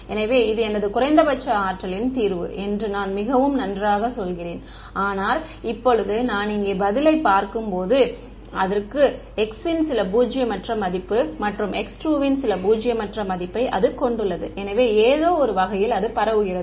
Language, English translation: Tamil, So, I say very good this is my minimum energy solution, but now when I look at the answer over here, it has some non zero value of x 1 and some non zero value of x 2, so there in some sense spread out ok